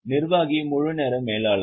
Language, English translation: Tamil, Executive are full time managers